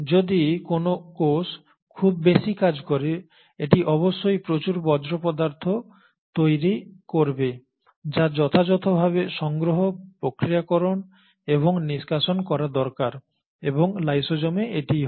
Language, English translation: Bengali, So if a cell is doing so much of a function, obviously it is going to produce a lot of waste matter which needs to be collected and appropriately processed and discarded and that happens in lysosomes